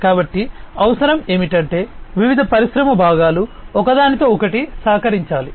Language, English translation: Telugu, So, what is required is that the different industry components will have to collaborate with one another